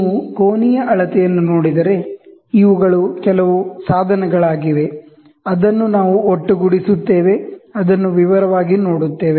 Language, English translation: Kannada, If you look at the angular measurement, these are some of the devices, which we assemble we will go, we will see it in detail